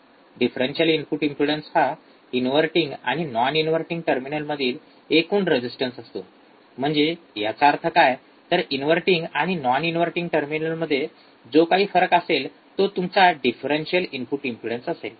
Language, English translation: Marathi, Differential input impedance is total resistance between inverting and non inverting terminal; that means, what is the difference; what is the difference between inverting and non inverting terminal that will be your differential input impedance